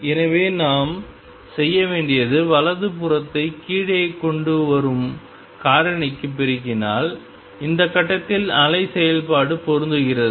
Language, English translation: Tamil, So, what we need to do is multiply the right hand side to the factor that brings it down makes the wave function match at this point